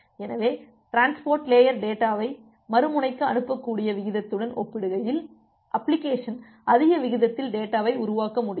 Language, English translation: Tamil, So, here the application can generate data at a more high higher rate compare to the rate at which the transport layer can send the data to the other end